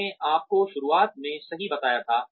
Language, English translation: Hindi, I told you right in the beginning